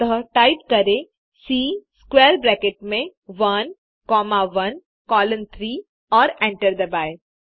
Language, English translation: Hindi, So type C within square bracket 1 comma 1 colon 3 and hit enter